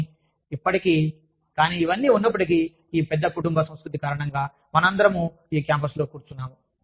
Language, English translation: Telugu, But still, but despite all this, we are all sitting in this campus, because of this big family culture, that we have, here